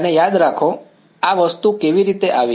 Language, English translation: Gujarati, And remember, how did this thing come